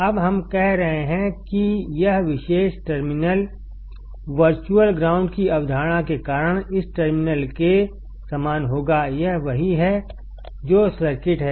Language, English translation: Hindi, Now, what we are saying is that this particular terminal will be similar to this terminal because of the concept of virtual ground; this is what the circuit is